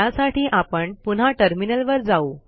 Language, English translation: Marathi, Let us go to the Terminal now